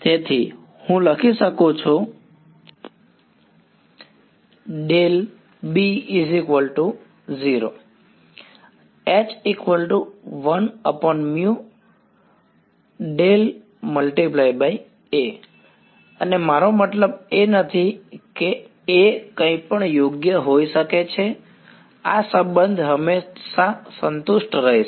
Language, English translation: Gujarati, And I do not I mean A could be anything right this relation will always be satisfied